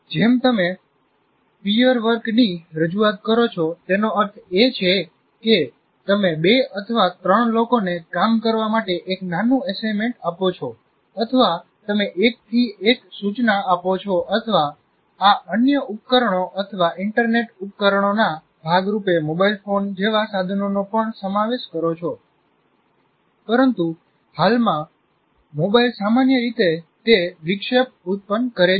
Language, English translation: Gujarati, Like you introduce peer work, that means you give a small assignment to two or three people to work on or your tutoring one to one instruction or even incorporating tools like cell phones as a part of this or other devices or internet devices but presently thought typically as a distraction